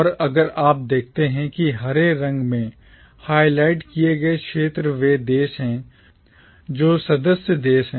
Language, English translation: Hindi, And if you see that the highlighted areas in green are the countries which are the member states